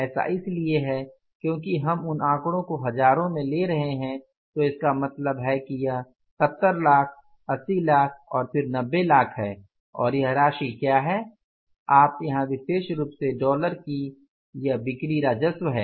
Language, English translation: Hindi, Because we are taking the figures in thousands, so it means finally it is the 70 lakhs, 80 lakhs and then the 90 lakhs and what this amount is this particular you will put here is the sales revenue